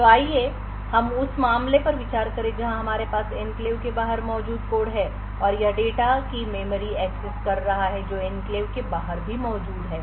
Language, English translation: Hindi, So, let us consider the case where we have code present outside the enclave, and it is making a memory access to data which is also present outside the enclave